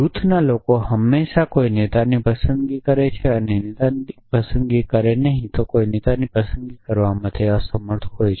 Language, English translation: Gujarati, A group people will always elect a leader or not elect a leader a would be unable to elect a leader